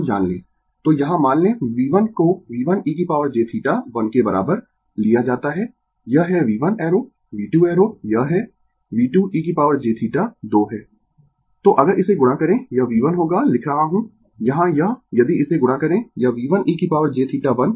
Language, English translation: Hindi, So, here suppose V 1 is taken ah is equal to V 1 e to the power j theta 1 it is V 1 arrow V 2 arrow it is V 2 e to the power j theta 2, then if you multiply this it will be V 1 your I am writing here it if you multiply this it is V 1 e to the power j theta one into V 2 e to the power j theta 2, right